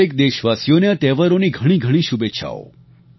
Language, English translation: Gujarati, Felicitations to all of you on the occasion of these festivals